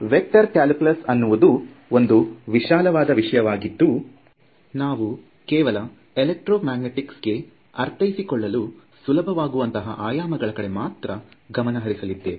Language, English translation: Kannada, Vector calculus is a very vast area, we will cover only those parts which are relevant to electromagnetics